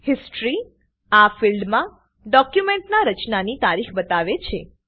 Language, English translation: Gujarati, History – This field shows the Creation date of the document